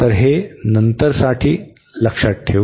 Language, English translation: Marathi, So, this for later and